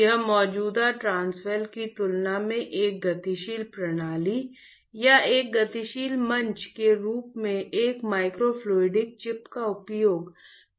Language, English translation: Hindi, This is just an idea of using a microfluidic chip as a dynamic system or a dynamic platform compared to the existing transwell